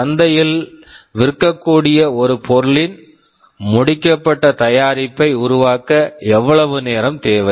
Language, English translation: Tamil, How much time it is required to build a finished product that can be sold in the market